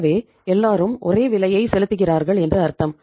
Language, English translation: Tamil, So it means everybody was paying the same price